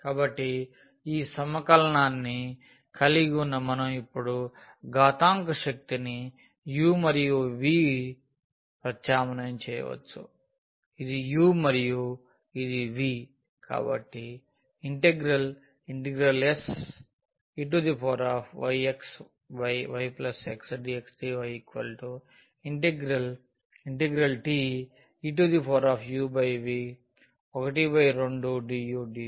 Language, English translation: Telugu, So, having this integral we can now substitute exponential power this was u and this was v